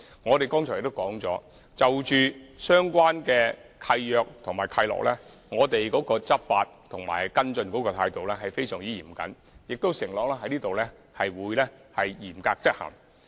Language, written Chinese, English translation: Cantonese, 我們剛才也提及，就着相關的契約和契諾，我們會以非常嚴謹的態度去執法和跟進，並在此承諾會嚴格執行。, As pointed out by us just now we hereby promise that we will earnestly and strictly enforce the law and follow up issues about deeds and covenants